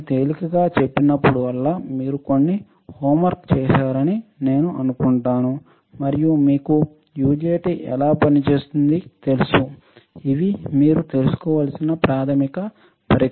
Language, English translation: Telugu, Whenever I say easy; I assume that you guys have done some homework and you know how the UJT operates, these are basic devices you should know